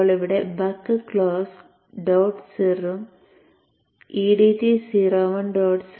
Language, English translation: Malayalam, Now here the buck close and dot CIR and the EADT 0